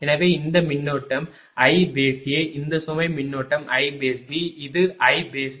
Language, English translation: Tamil, So, this current is i A then this load current is i B this is i c